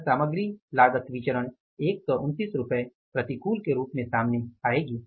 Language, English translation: Hindi, This material cost variance will come out as rupees, 129 adverse